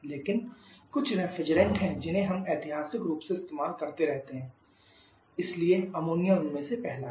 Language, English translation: Hindi, But there are certain refrigerant that we are popular keep on using historically so ammonia is a first one of them